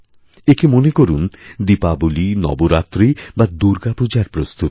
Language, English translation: Bengali, We could look at this as preparations for Diwali, preparations for Navaratri, preparations for Durga Puja